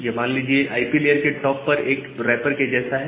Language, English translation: Hindi, It is just like a wrapper on top of the IP layer